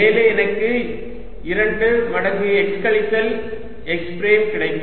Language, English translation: Tamil, and on top i will get two times x minus x prime